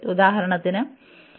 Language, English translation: Malayalam, For example, n is 1